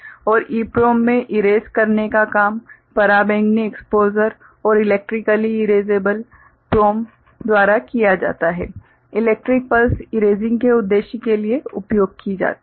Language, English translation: Hindi, And in EPROM erasing is done by ultraviolet exposure and electrically erasable PROM electric pulse used for erasing purpose